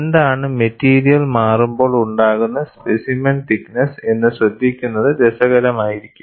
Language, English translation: Malayalam, And it is interesting to note, what is the thickness of the specimen when the material changes